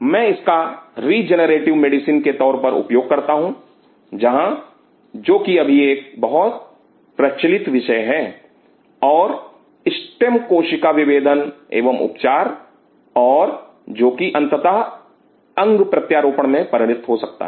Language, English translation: Hindi, I use this as a regenerative medicine, where which is one of the very fashionable topics currently and the stem cell differentiation and therapy, and which eventually may lead to artificial organs